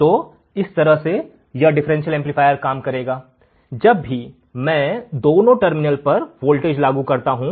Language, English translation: Hindi, So, this is how my differential amplifier will work, whenever I apply a voltage at both the terminals